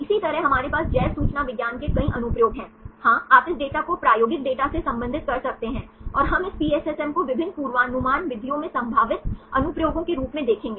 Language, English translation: Hindi, Likewise we has several applications of bioinformatics is here, yes you can relate this data with experimental data and we will see this PSSM as potential applications in various prediction methods